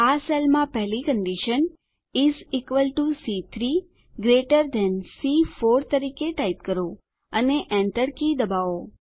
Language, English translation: Gujarati, In this cell, type the first condition as is equal to C3 greater than C4 and press the Enter key